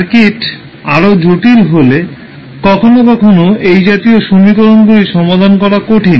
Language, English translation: Bengali, Sometimes these types of equations are difficult to solve when the circuit is more complex